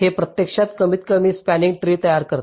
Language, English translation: Marathi, it actually constructs a minimum spanning tree